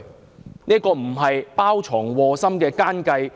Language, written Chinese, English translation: Cantonese, 這難道不是包藏禍心的奸計？, Is this not a cunning plan with a malicious intent?